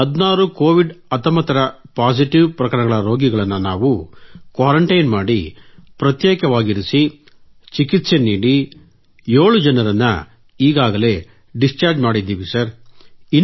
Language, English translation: Kannada, And out of those 16 cases, after due quarantine, isolation and treatment, 7 patients have been discharged Sir